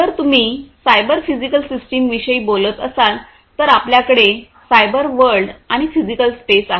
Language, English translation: Marathi, So, if you are talking about cyber physical systems, we have as I told you we have the cyber world, the cyber world, and the physical space, right